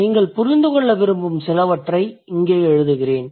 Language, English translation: Tamil, I will just write here a few things that I want you to understand